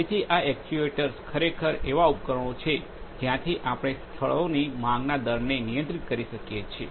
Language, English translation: Gujarati, So, these actuators are actually control devices where we can where we can control the rate of demand from the locations itself